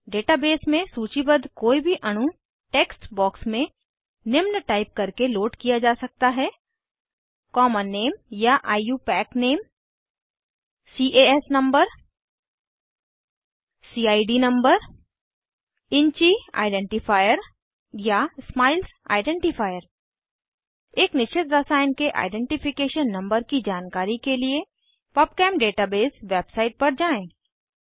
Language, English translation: Hindi, Any molecule listed in the database can be loaded by typing the following in the text box: Common name or IUPAC name CAS number CID number InChi identifier or SMILES identifier Please visit Pubchem database website for information on identification numbers for a particular chemical let us display phenol on screen